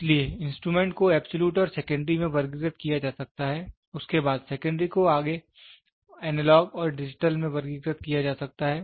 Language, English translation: Hindi, So, instruments can be classified into absolute and secondary, then, the secondary can be further classified in to analog and digital